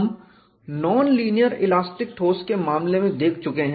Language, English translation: Hindi, We are looked at in the case of a non linear elastic solid